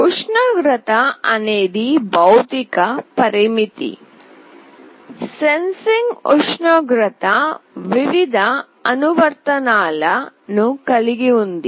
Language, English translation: Telugu, Temperature is a physical parameter; sensing temperature has various applications